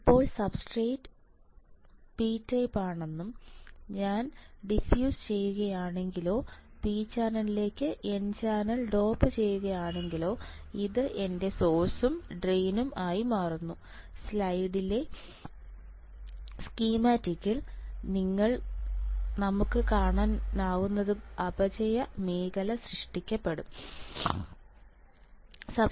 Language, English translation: Malayalam, Now, you see substrate body right substrate body is P type and if I diffuse or if I dope the n channel into the P type, then this becomes my source and drain and because there is a p because there is a n there will be creation of this depletion region, there will be creation of depletion region as we can see from the schematic on the slide